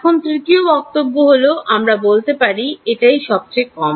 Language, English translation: Bengali, Now, the third point we can say is that minimum is